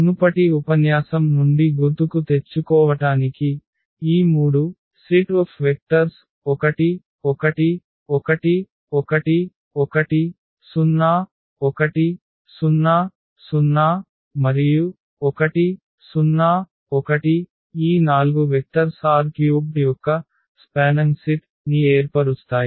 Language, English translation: Telugu, So, just to recall from the previous lecture; so, we have seen that these vectors the set of these 3 vectors are 1 1 1 and 1 1 0 1 0 0 and 1 0 1, these 4 vectors form a spanning set of R 3